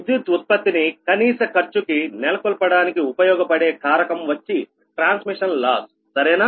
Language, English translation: Telugu, so another factor that influence the power generation at minimum cost is a transmission loss, right